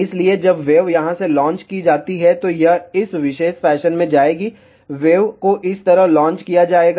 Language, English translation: Hindi, So, when the wave is launched from here, it will go in this particular fashion, the wave is launched like this